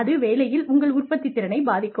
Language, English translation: Tamil, And, that can affect, what you produce at work